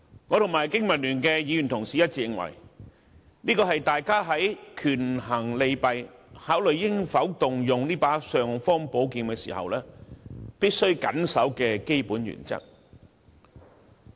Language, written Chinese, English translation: Cantonese, 我和經民聯的議員一致認為，這是大家在權衡利弊，考慮應否動用這把"尚方寶劍"時，必須緊守的基本原則。, Members of the Hong Kong Association for Democracy and Peoples Livelihood ADPL and I are of the view that this is the basic principle that we must strictly adhere to when weighing the pros and cons of using this imperial sword